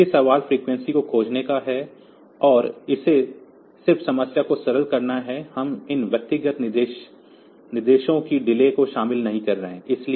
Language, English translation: Hindi, So, question is to find the frequency and it just has to simplify the problem, we do not include the delays of these individual instructions